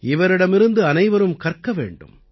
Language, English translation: Tamil, Everyone should learn from her